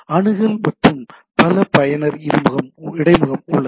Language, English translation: Tamil, There is a access and multi user interface right